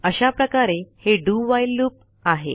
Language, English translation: Marathi, That is basically the DO WHILE loop